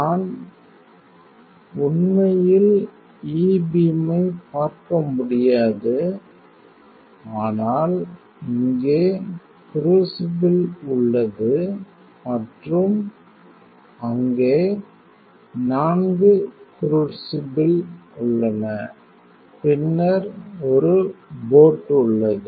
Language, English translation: Tamil, And you cannot see E beam actually, but here is crucible right and there are 4 crucibles and then there is a boat, right